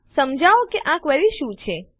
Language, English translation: Gujarati, Explain what this query does